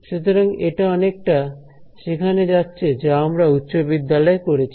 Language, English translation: Bengali, So, this is actually goes back to something which would have done in high school